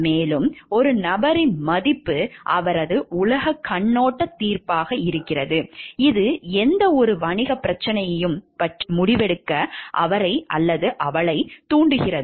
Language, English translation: Tamil, And it is the virtue the value of the person his or her worldview judgment which makes him or her to take a decision about the any business problem also